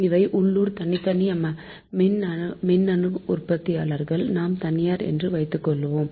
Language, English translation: Tamil, these are the local independent power producers, we assume the private parties